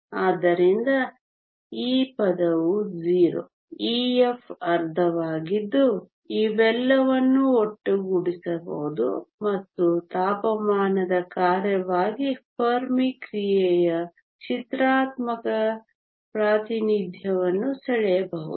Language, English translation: Kannada, So, this term is 0, f of e is half we can put all these together and draw a pictorial representation of the fermi function as a function of a temperature